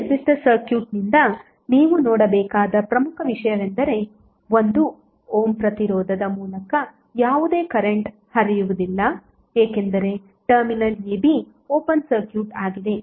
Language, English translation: Kannada, Now important thing which you need to see from this particular circuit is that there would be no current flowing through this particular resistance because the terminal a b is open circuit